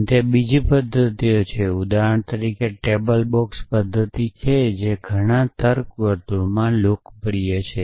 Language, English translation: Gujarati, And there are other methods so for example, that is the tableaux method which is very popular in many logic circles essentially